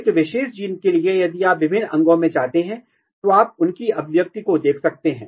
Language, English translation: Hindi, And then you can look that a particular gene, if you go across the different organs you can see their expression